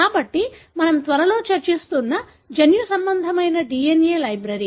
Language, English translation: Telugu, So, the genomic DNA library we will be discussing soon